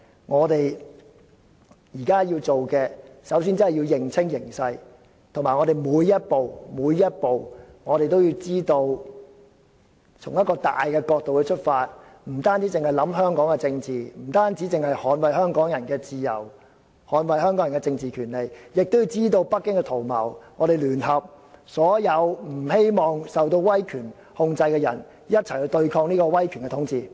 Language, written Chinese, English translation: Cantonese, 我們現在首先要做的是認清形勢，每一步都要從一個大的角度出發，不單考慮香港的政治、不單捍衞香港人的自由、政治權利，亦要知道北京的圖謀，我們要聯合所有不希望受到威權控制的人一起對抗威權統治。, What we have to do first and foremost is to grasp clearly the full picture and in making each step we have to take a broad perspective so that we do not only consider the politics of Hong Kong and we do not only consider the freedom and political rights of Hongkongers but we also know what Beijing is up to . We have to work with all the people who do not wish to be controlled by totalitarianism and fight against the totalitarian governance together